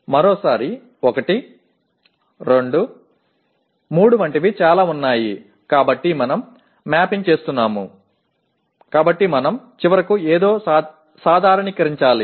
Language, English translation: Telugu, Once again, because there are several like 1, 2, 3 we are mapping, so we need to finally normalize something